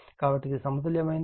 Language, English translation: Telugu, So, this is balanced